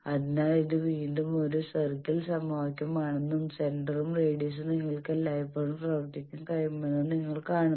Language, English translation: Malayalam, So you see this is again a circle equation and the center and radius you can always work out j